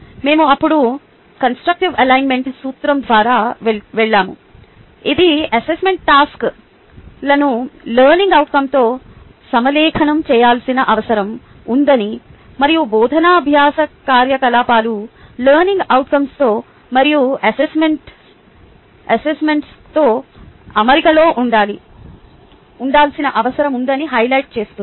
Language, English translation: Telugu, we then went through the principle of constructive ah alignment, which highlights that the assessment tasks need to be aligned with the learning outcomes and the teaching learning activity needs to be in alignment with the learning outcome and that assessment task